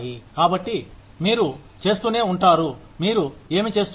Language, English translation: Telugu, So, you keep doing, whatever you are doing